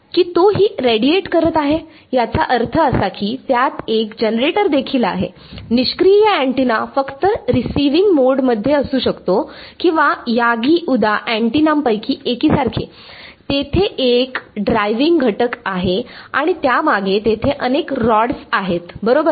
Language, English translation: Marathi, That is it is also radiating; that means, it also has a generator, passive antenna could be is just sort of in receiving mode or like a one of these Yagi Uda antennas, there is one driving element and there are various rods behind it which are there right